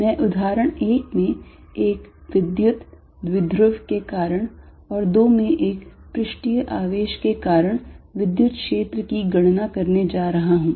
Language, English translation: Hindi, I am going to calculate electric field due to example 1 a, an electric dipole and 2 due to a surface charge